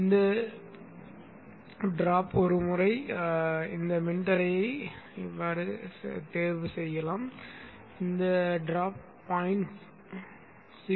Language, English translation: Tamil, So once this drop this rest of can be so chosen that once this drop crosses 0